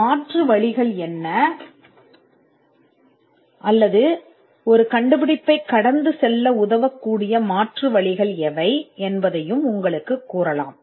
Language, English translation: Tamil, It can also tell you what are the alternates or or what are the possible ways in which a invention can be overcome through alternatives